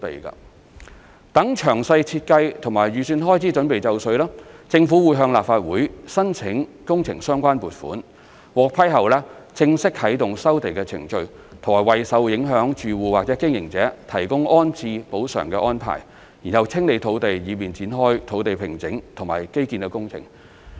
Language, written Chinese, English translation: Cantonese, 待詳細設計及預算開支準備就緒，政府會向立法會申請工程相關撥款，獲批後正式啟動收地程序和為受影響住戶或經營者提供安置補償安排，然後清理土地以便展開土地平整和基建工程。, When the detailed designs and estimated expenditures are ready the Government will seek funding approval from the Legislative Council for the related works and if approved the land resumption procedures will officially commence and rehousing compensation will be arranged for the affected tenants or operators . Afterwards the land will be cleared for site formation and infrastructural works